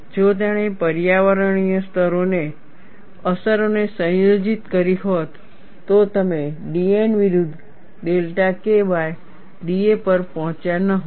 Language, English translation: Gujarati, If he had combined the environmental effects, you would not have arrived at d a by d N versus delta K